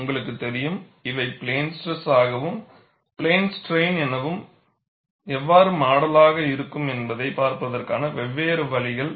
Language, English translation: Tamil, You know, these are different ways of looking at, how to model it as plane stress, or, as well as plane strain